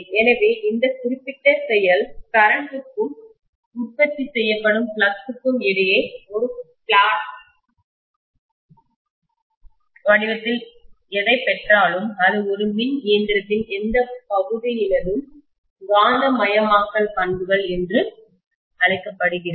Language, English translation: Tamil, So this particular behavior whatever we get in the form of a plot between the flux produced versus current, that is known as the magnetization characteristics of any of the portions of an electrical machine, right